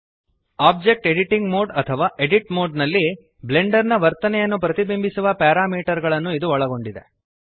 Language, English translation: Kannada, This contains parameters that reflect the behavior of Blender in Object editing mode or the Edit Mode